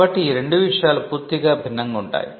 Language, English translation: Telugu, So, these 2 things are completely different